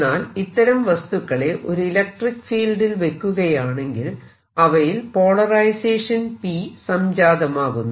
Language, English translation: Malayalam, if they are put in a electric field, then they developed a polarization p which is equal to